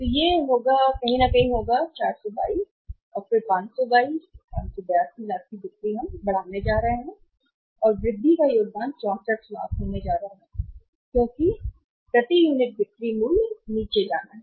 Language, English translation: Hindi, So, it will be somewhere how much 422 and then 522, 582 lakhs of the sales we are going to increase and increase contribution is going to be 64 lakhs because per unit selling price is going to go down